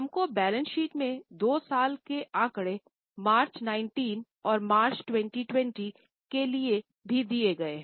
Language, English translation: Hindi, We have also been given two years figures of balance sheet for March 19 and March 2020